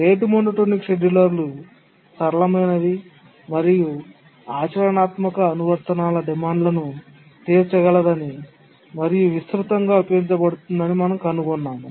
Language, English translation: Telugu, And we found that the rate monotonic scheduler is the one which is simple and it can meet the demands of the practical applications and that's the one which is actually used widely